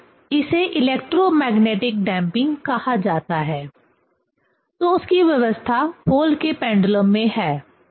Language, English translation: Hindi, So, it is called electromagnetic damping; so that arrangement is there in Pohl